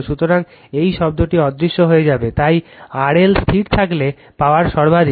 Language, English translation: Bengali, So, this term will vanish, therefore, power is maximum if R L is held fixed right